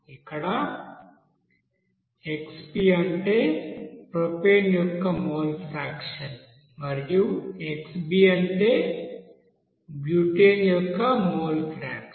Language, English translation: Telugu, Here Xp means mole fractions of propane and Xb means mole fraction of butane